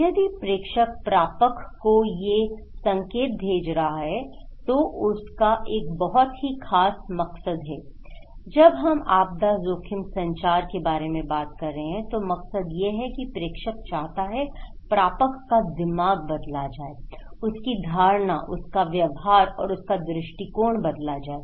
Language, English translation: Hindi, If the sender is sending these informations to the receiver, he has a very particular motive when we are talking about disaster risk communication, the motive is the sender wants to change the mind of receiver okay, change his mind, changed perception and changed behaviour